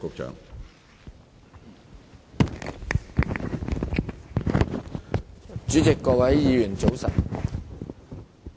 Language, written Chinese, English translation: Cantonese, 主席，各位議員，早晨。, Good morning President and Members